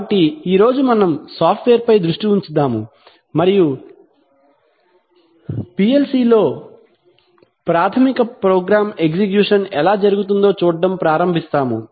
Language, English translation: Telugu, So today we take a software focus and start looking at how the basic program execution goes in a PLC